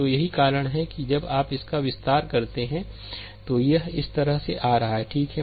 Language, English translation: Hindi, So, that is why this when you expand this it is coming like this, right